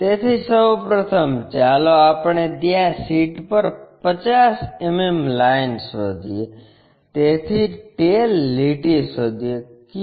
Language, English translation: Gujarati, So, first of all let us locate 50 mm line on the sheet somewhere there, so locate that line